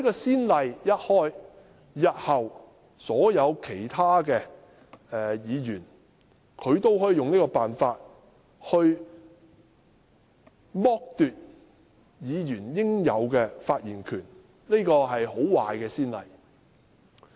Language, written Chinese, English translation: Cantonese, 此例一開，日後其他議員也可以此方式剝奪議員應有的發言權，這是很壞的先例。, If this case sets a precedent other Members may in future do the same to deprive the due right of Members to speak . It will be a very bad precedent